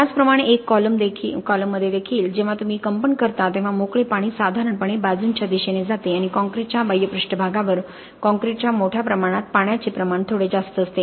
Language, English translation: Marathi, Similarly in a column also when you vibrate the free water will generally tend to go towards the sides and the exterior surface of the concrete will tend to have a slightly higher water content as oppose to what you have in the bulk of the concrete